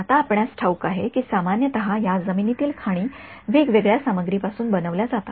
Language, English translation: Marathi, Now you know typically these landmines are made out of different material right